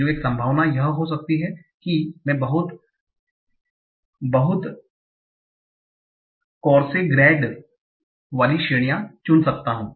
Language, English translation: Hindi, So, one possibility can be I can choose very, very coarse grained categories, right